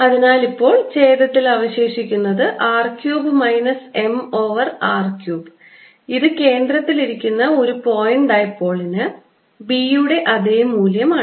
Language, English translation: Malayalam, so i am left with r cubed in the denominator minus m over r cube, which is a same expression as b for a point dipole sitting at the centre